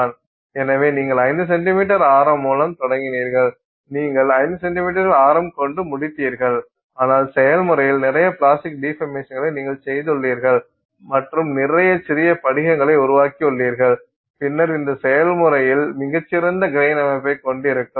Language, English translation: Tamil, So, you started with 5 cm radius, you finished with 5 centimeter radius but in the process you have done lot of plastic deformation and you know created lot of small crystals and then in the process you have a very fine grain structure